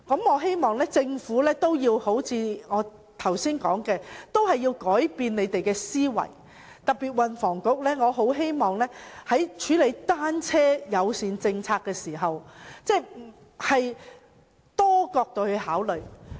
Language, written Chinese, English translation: Cantonese, 我希望政府會如我剛才所說般，改變思維，我特別希望運輸及房屋局在處理單車友善政策時，會從多個角度考慮。, I hope the Government will change its mindset as mentioned by me just now . In particular I hope the Transport and Housing Bureau will make consideration from various angles when it deals with the bicycle - friendly policy